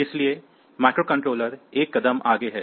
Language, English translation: Hindi, So, microcontrollers are 1 step ahead